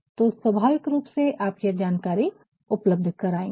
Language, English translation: Hindi, So, naturally you will provide that